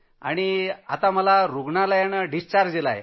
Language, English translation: Marathi, When I was admitted to the hospital